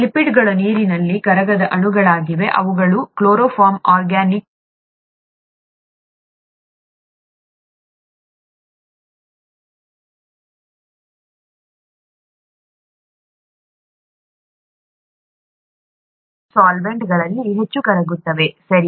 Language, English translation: Kannada, ‘Lipids’ are water insoluble molecules which are very highly soluble in organic solvents such as chloroform, okay